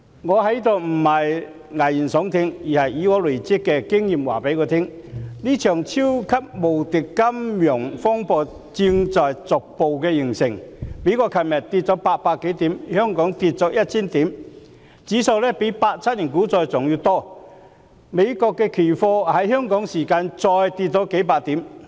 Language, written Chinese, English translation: Cantonese, 我不是在此危言聳聽，而是累積的經驗告訴我，這場超級無敵金融風暴正在逐步形成，美國股市昨天下跌800多點，香港股市下跌1000點，跌幅較1987年股災還要大，美國的期貨指數在香港時間再下跌了數百點。, I am not being alarmist here but experience accumulated tells me that this mega financial turmoil is gradually taking shape . Yesterday the stock market of the United States dropped more than 800 points and the Hong Kong stock market dropped 1 000 points which was a drop greater than the stock market crash in 1987 . And then the futures index of the United States further dropped a few hundred points Hong Kong time